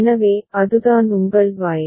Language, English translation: Tamil, So, that is what your Y is